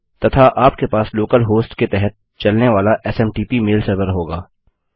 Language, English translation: Hindi, And you will have a SMTP mail server running under local host